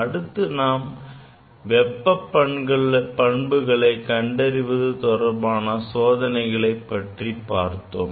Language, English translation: Tamil, We have demonstrated few experiments on thermal properties